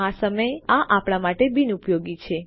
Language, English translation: Gujarati, But it is useless to us at the moment